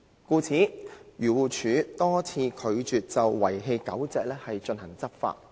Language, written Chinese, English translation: Cantonese, 故此，漁農自然護理署多次拒絕就遺棄狗隻進行執法。, For this reason the Agriculture Fisheries and Conservation Department has repeatedly refused to enforce the law on abandoning dogs